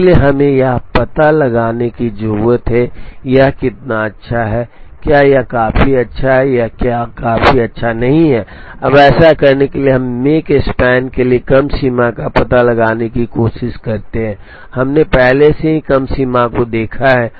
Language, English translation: Hindi, So, we need to find out how good it is, is it good enough or is it not good enough, now in order to do that we also try and find out lower bounds for the make span, we have already seen lower bounds for the make span based on each of the machines